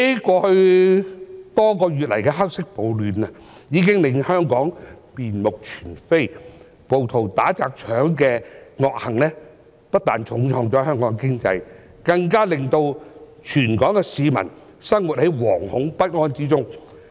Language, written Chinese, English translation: Cantonese, 過去多月來的"黑色暴亂"，已經令香港面目全非。暴徒打、砸、搶的惡行，不但重創香港經濟，更令全港市民生活在惶恐不安之中。, The black riots which have been going on in the past few months have turned Hong Kong completely upside down and the beating smashing and looting by rioters have not only dealt a serious blow to Hong Kongs economy but also thrown all the people in Hong Kong into panic